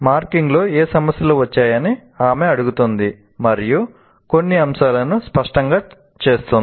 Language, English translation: Telugu, She asked what issues came up in the marking and clarifies a few points